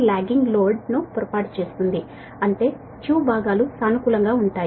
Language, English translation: Telugu, lagging load means it that two parts will be positive